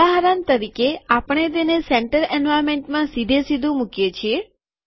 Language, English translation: Gujarati, For example, we put it directly inside the center environment